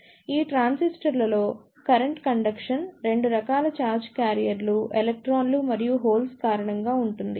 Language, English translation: Telugu, In these transistors, the current conduction is due to 2 type of charge carriers; electrons and holes